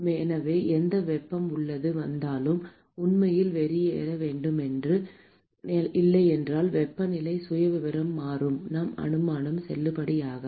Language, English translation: Tamil, So, whatever heat that comes in should actually go out, otherwise the temperature profile is going to change our assumption is not valid